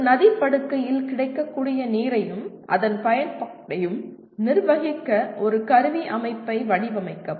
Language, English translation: Tamil, Design an instrumentation system for managing available water and its utilization in a river basin